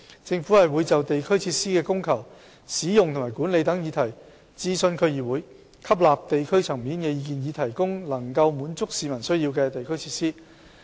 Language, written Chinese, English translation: Cantonese, 政府會就地區設施的供求、使用及管理等議題諮詢區議會，吸納地區層面的意見，以提供能夠滿足市民需要的地區設施。, The Government consults DCs on various subjects like the supply and demand usage and management of district facilities and so on with a view to heeding the views at the district level to provide district facilities meeting the needs of the people